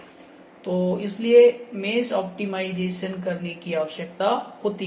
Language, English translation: Hindi, So, optimization of mesh is required then